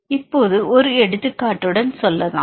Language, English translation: Tamil, Now, let us let us go for with an example